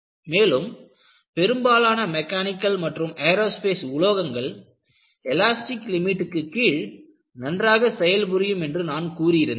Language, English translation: Tamil, And I have also mentioned, most of the mechanical and aerospace components serve well below the elastic limit